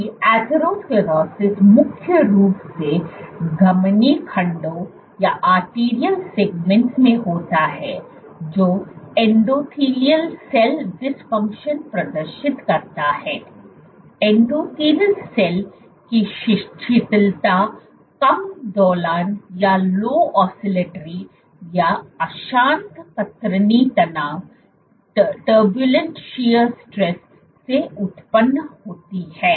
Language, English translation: Hindi, That Atherosclerosis occurs mainly in arterial segments which display endothelial cell dysfunction; endothelial cell dysfunction triggered by low oscillatory or turbulent shear stress